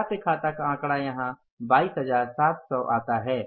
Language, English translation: Hindi, Accounts receivables figure comes up here is that is 22,700s